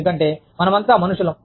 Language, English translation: Telugu, Because, we are all humans